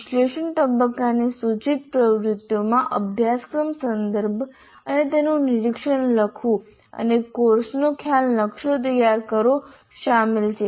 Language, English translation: Gujarati, The proposed activities of the analysis phase include writing the course context and overview and preparing the concept map of the course